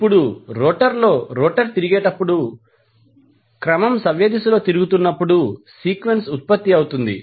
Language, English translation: Telugu, Now, so, sequence is produced when rotor is rotate in the rotor is rotating in the clockwise direction